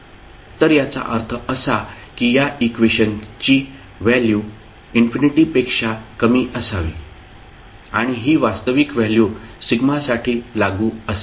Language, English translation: Marathi, So that means the value of this expression should be less than infinity and this would be applicable for a real value sigma